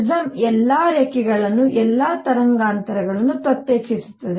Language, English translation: Kannada, The prism separates all the lines all the wavelengths